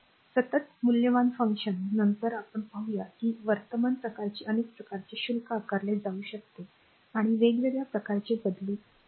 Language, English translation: Marathi, So, constant valued function as we will see later that can be several types of current that is your charge can be vary with time in several ways